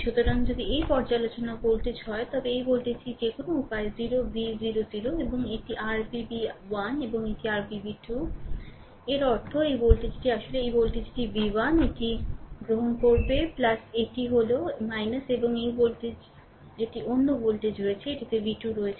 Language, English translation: Bengali, So, if you look into that this is reference voltage, this voltage any way is 0 v 0 0 and this this is your v 1 and this is your v 2; that means, this voltage these voltage actually v 1 right this will take plus this is minus and this voltage this is another voltage is there this is v 2 right